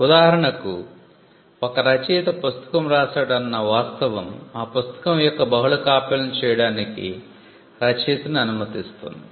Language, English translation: Telugu, For instance, if it is a book written by an author the fact that the author wrote the book allows the author to make multiple copies of it